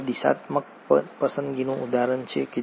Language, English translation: Gujarati, Now this is an example of directional selection